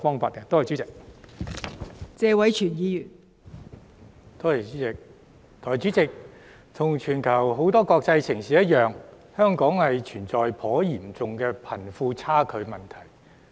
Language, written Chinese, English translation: Cantonese, 代理主席，一如全球多個國際城市般，香港存在頗嚴重的貧富差距問題。, Deputy President just like various international cities worldwide Hong Kong is plagued by a rather serious problem of wealth disparity